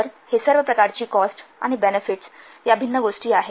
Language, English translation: Marathi, So these are the important categories of different cost and benefits